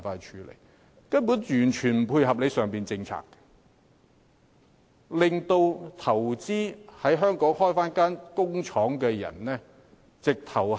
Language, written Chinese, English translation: Cantonese, 這根本完全不配合政府的政策，令打算在港投資設廠的人卻步。, It has totally failed to tie in with the Governments policy discouraging those intending to invest and set up factories in Hong Kong